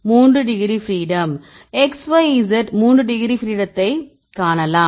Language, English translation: Tamil, 3 degrees of freedom right because you can see x y z the 3 degrees of freedom